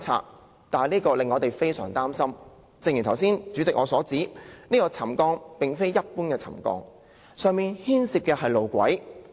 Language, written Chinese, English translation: Cantonese, 主席，這做法令我們非常擔心，正如我剛才所說，是次沉降事件並非一般的沉降，它牽涉上面的路軌。, President we are very concerned about the way the incident has been handled . As I just said the subsidence is not any ordinary subsidence . It affects the tracks located on the viaduct piers